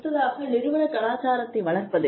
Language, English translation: Tamil, And, supportive nurturing organizational culture